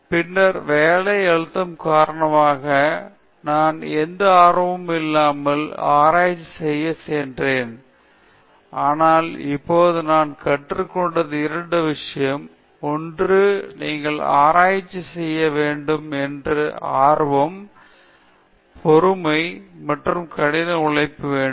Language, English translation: Tamil, Then because of work pressure or whatever I opted to do research without having any interest, but now the two thing that I learnt is one is you need not have that genius thing or intelligence to do good research only thing that we need is interest, patience and hard work, so that I realized that